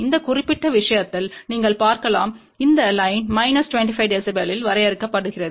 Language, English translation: Tamil, And in this particular case you can see that this line is drawn at minus 25 dB